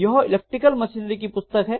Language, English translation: Hindi, So this is actually Electric Machinery